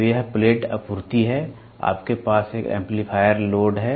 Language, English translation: Hindi, So, this is a plate supply, you have an amplifier load